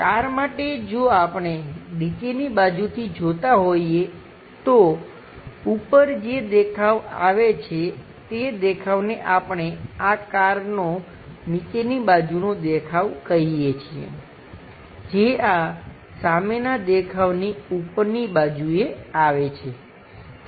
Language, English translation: Gujarati, For a car if we are looking from bottom side, the view whatever comes on to the top that is what we call bottom side view underneath the car which comes on top side of this front view